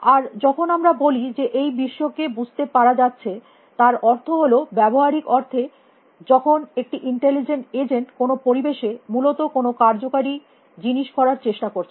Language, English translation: Bengali, And when I say it makes sense of this world as I mean in the practical sense as an intelligent agent in some environment trying to do useful things especially